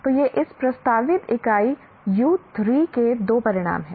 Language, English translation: Hindi, So these are the two outcomes of this proposed unit U3